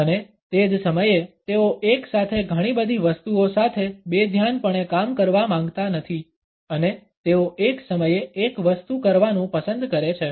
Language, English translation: Gujarati, And at the same time they do not want to dabble with so many things simultaneously and they prefer to do one thing at a time